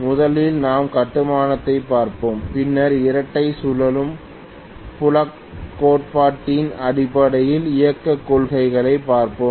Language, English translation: Tamil, First we will look at construction, then we will look at the operating principle based on double revolving field theory